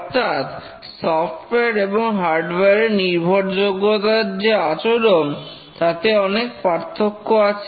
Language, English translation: Bengali, In other words, the behavior, the reliability behavior of hardware and software are very different